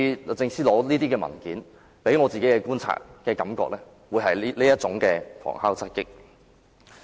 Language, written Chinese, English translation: Cantonese, 律政司這次索取文件給我的感覺，似乎是想旁敲側擊。, DoJs request for documents this time around gives me the feeling that they seemingly want to use a backhanded approach